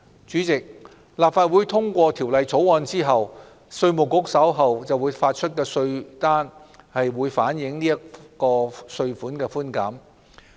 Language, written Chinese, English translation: Cantonese, 主席，立法會通過《條例草案》後，稅務局發出的稅單將反映這項稅款寬減。, President upon the passage of the Bill the Inland Revenue Department will reflect the reductions in tax demand notes to be issued